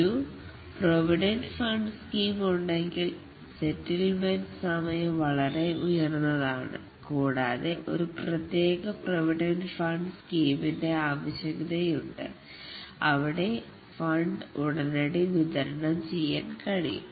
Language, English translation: Malayalam, Though there is a provident fund scheme, but the settlement time is very high and there is a need for a special provident fund scheme where the fund can be disbursed immediately